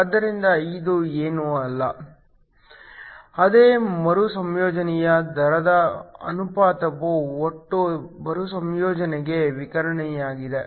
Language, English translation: Kannada, So, this is nothing, but the ratio of the recombination rate which is radiative to the total recombination